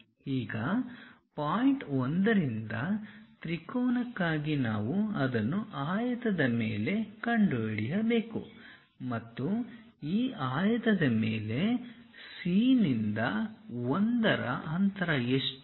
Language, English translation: Kannada, Now, for the triangle from point 1 we have to locate it on the rectangle further what is the distance from C to 1 on that rectangle